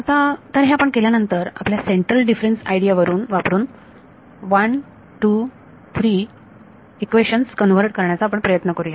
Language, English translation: Marathi, So now, that we have done this let us try to convert equations 1 2 3 using our central difference idea